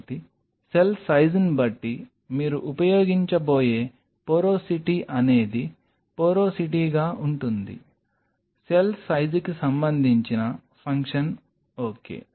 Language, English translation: Telugu, So, depending on the size of the cell what porosity you are going to use will be porosity will be, will be a function of cell size ok